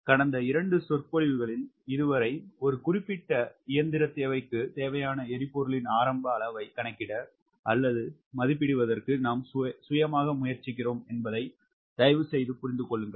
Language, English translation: Tamil, please understand that so far, last two lectures, we are preparing our self to calculate or to estimate the initial amount of fuel required for a particular machine requirement